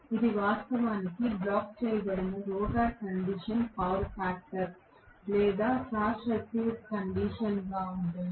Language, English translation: Telugu, This will actually be the power factor under blocked rotor condition or short circuited condition